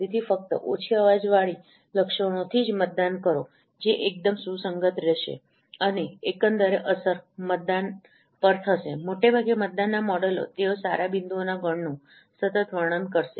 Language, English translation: Gujarati, So only voting from the less noisy features, they would be quite consistent and overall effect would be that the voted, the mostly voted, no models, they will consistently describe those good set of points